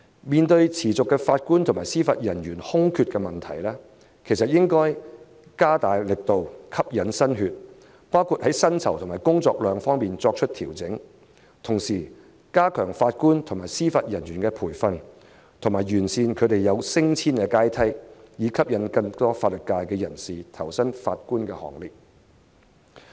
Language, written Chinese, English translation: Cantonese, 面對持續的法官和司法人員空缺的問題，當局應該加大力度，吸引新血，在薪酬和工作量方面作出調整，同時加強法官和司法人員的培訓，完善他們升遷的階梯，以吸引更多法律界人士投身法官行列。, In the face of the long - standing vacancies of JJOs the authorities should make greater efforts to attract new blood adjust the remuneration package and workload enhance the training of JJOs and improve the promotion ladder so as to attract more people from the legal profession to join the Bench